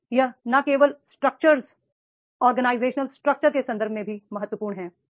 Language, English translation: Hindi, Now, it is not only in the context of the structure, organization structure, but it is also important in the context of the organization